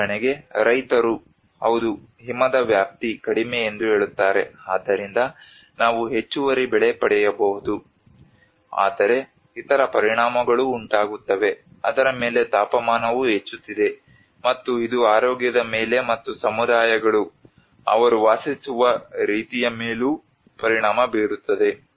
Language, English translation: Kannada, For instance, the farmers say yes, snow coverage less so we may get an extra crop but there will also other impacts; the temperature is increasing on it, and it has impacts on the health and as well as the communities the way they live